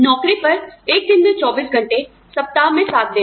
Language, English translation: Hindi, On the job, 24 hours a day, 7 days a week